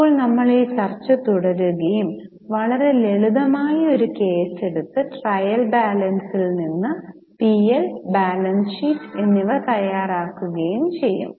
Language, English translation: Malayalam, Now we will continue this discussion and try to prepare, take a very simple case and prepare P&L and balance sheet from trial balance